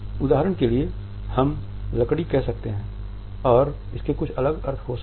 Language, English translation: Hindi, For example, we may say wood and it may have some different meanings